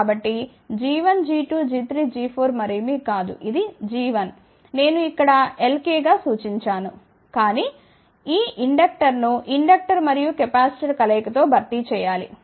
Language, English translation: Telugu, So, g 1 g 2 g 3 g 4, not this g 1 which I have actually represented here as capital L k , but this inductor has to be replaced by combination of inductor and capacitor